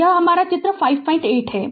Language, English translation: Hindi, So, this is my figure 5